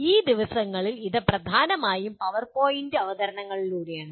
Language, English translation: Malayalam, These days it is mainly through PowerPoint presentations